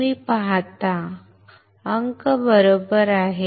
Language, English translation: Marathi, You see , digits right